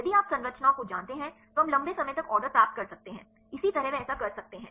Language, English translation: Hindi, If you have known the structures we can get the long range order likewise they can do that